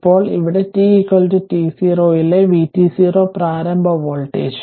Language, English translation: Malayalam, Now, where v t 0 initial voltage at t is equal to t 0 plus